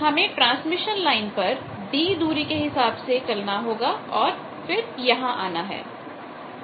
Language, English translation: Hindi, Then I will have to move in a transmission line by a distance d and come here